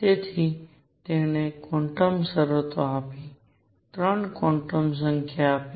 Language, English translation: Gujarati, So, it gave the quantum conditions, gave 3 quantum numbers